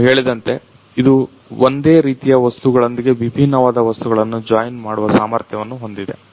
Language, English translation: Kannada, So, as you told it has the capability to join dissimilar materials with similar materials